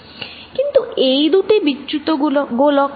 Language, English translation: Bengali, But, these are two displaces spheres